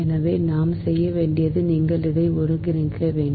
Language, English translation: Tamil, so what we have to do is you have to integrate this right